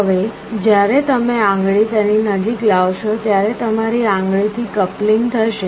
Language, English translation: Gujarati, Now when you are bringing a finger near to it, there will be a coupling through your finger